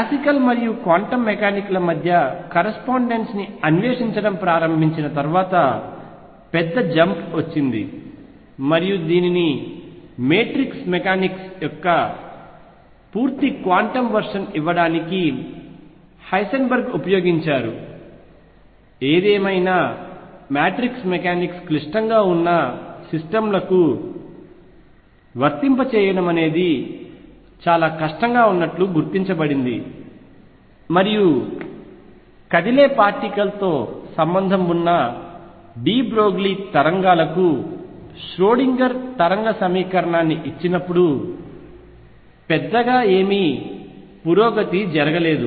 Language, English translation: Telugu, Then the big jump came after when started exploring the correspondence between classical and quantum mechanics and this was utilised by Heisenberg to give a fully quantum version of mechanics which is known as matrix mechanics; however, matrix mechanics was found to be very difficult to apply to systems which are complicated and not much progress was being made when Schrodinger gave the wave equation for De Broglie waves associated with a moving particle